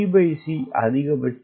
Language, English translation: Tamil, t by c is twelve